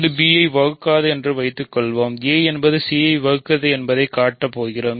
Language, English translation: Tamil, If it divides b we are done suppose it does not divide b, we are going to show that a divides c ok